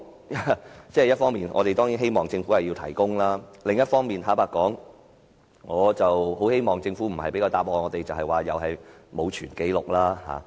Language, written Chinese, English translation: Cantonese, 一方面，我們當然希望政府提供這些文件，但另一方面，坦白說，我不希望政府給我們的答覆是它沒有保存有關紀錄。, We certainly hope that the Government will produce these documents . Honestly speaking I do not wish to receive the Governments reply that it has not kept such records